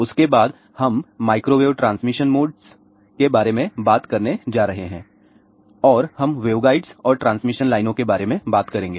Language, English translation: Hindi, After that; we are going to talk about microwave transmission modes and we will talk about a waveguides and transmission lines